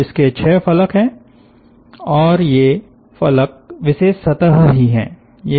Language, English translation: Hindi, so these has six phases and this phases that special surfaces